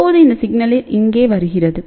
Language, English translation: Tamil, So, then this signal actually speaking comes here